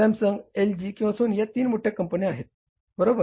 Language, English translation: Marathi, You call it Samsung, LG or Sony, these three bigger companies, right